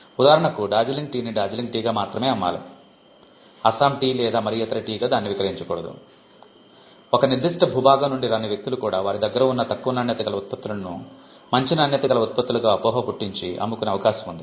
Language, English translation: Telugu, For instance, Darjeeling tea should only be sold as Darjeeling tea, we do not want that to be sold as Assam tea or any other tea, because then that will allow people who do not come from a particular territory to pass of a product as another one, and it would also affect fair competition